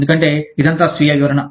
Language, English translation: Telugu, Because, it is all self explanatory